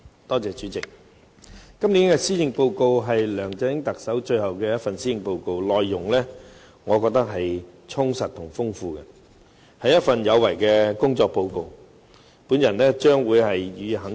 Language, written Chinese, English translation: Cantonese, 代理主席，今年的施政報告是特首梁振英任內最後一份，我認為它內容充實豐富，是一份有為的工作報告，我將會予以肯定。, Deputy President the Policy Address this year will be the last in LEUNG Chun - yings tenure . I consider its contents rich and substantial . It is a promising work report